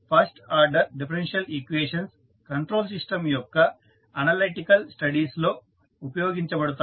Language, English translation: Telugu, First order differential equations are used in analytical studies of the control system